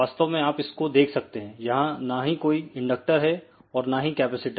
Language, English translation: Hindi, You can actually see here there is a no inductor there is a no capacitor